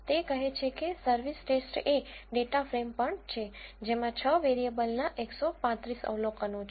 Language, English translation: Gujarati, It says the service test is also data frame which contains 135 observations in 6 variables